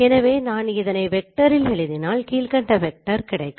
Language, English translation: Tamil, So this is a column vector that we will get from this operation